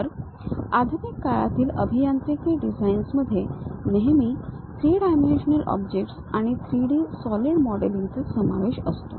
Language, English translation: Marathi, So, the modern days engineering designs always involves three dimensional objects and 3D solid modelling